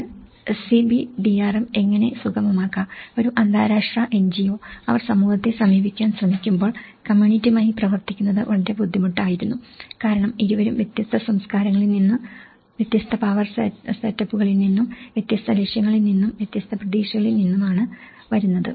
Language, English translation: Malayalam, So, how to facilitate the CBDRM; the entry points, an international NGO when they try to approach the community, it was very difficult to work with the community because both are from different cultures and different power setups and different targets and different expectations